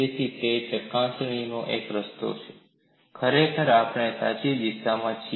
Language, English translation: Gujarati, So, that is one way of verification, indeed we are in the right direction